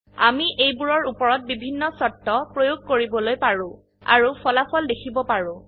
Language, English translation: Assamese, We can apply different conditions on them and check the results